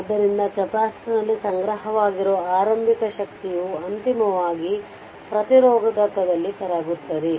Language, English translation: Kannada, So, initial energy stored in the capacitor eventually dissipated in the resistor